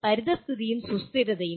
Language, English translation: Malayalam, Environment and sustainability